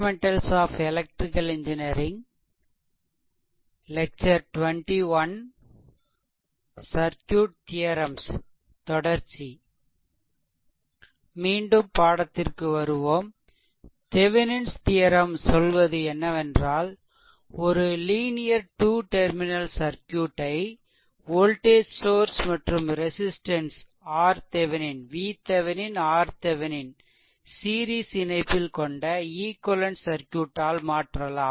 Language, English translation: Tamil, So, in this now in this case, Thevenin’s theorem actually states a linear 2 terminal circuit can be replaced by an equivalent circuit consisting of a voltage source V Thevenin in series with your resistor R Thevenin